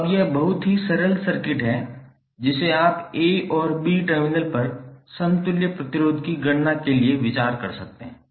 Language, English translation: Hindi, So now this is even very simple circuit which you can consider for the calculation of equivalent resistance across A and B terminal